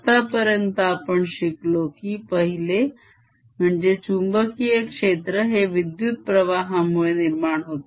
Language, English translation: Marathi, we have learnt that one magnetic field is produced by electric currents